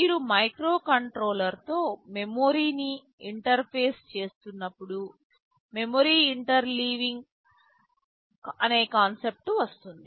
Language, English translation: Telugu, When you interface memory with the microcontroller, there is a concept called memory interleaving